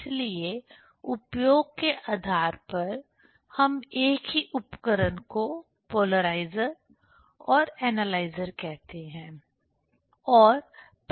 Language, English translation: Hindi, So, depending on the use of, we call this same tool as a polarizer and an analyzer